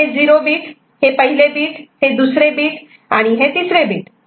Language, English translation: Marathi, So, this is the zeros bit first bit second bit and third bit